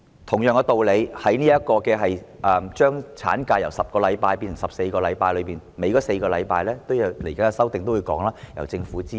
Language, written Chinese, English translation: Cantonese, 同樣道理，接下來的修訂也會提出，將產假由10星期變成14星期，多出4星期的款項，應由政府支付。, By the same token the forthcoming amendments will also propose to extend the maternity leave from 10 weeks to 14 weeks and that the pay for the extra four weeks should be funded by the Government